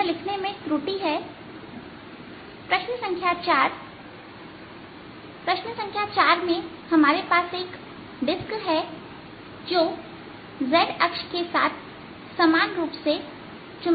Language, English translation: Hindi, in question number four, we have a disc which has the information magnetization along the z axis